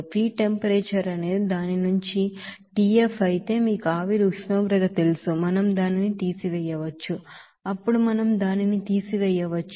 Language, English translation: Telugu, And the feed temperature is it is tF then from that, you know steam temperature, we can subtract it then we can get that you know, enthalpy change of that feed stream as here 1237